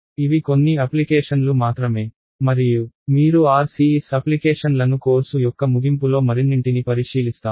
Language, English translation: Telugu, These are just some of the applications and we will look at more towards the end of the course when you look at applications of RCS